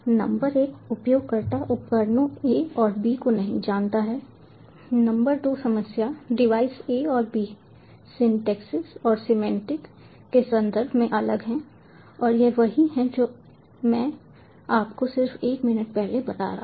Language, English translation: Hindi, number two problem: devices a and b are different in terms of syntaxes and semantics, and this is this is what i was telling you just a minute back